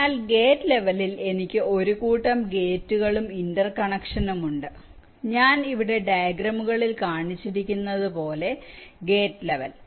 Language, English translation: Malayalam, so at the gate level i have a set of gates and the interconnection as i have shown in the diagrams here